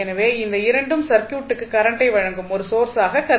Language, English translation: Tamil, So, these 2 would be considered as a source which provide current to the circuit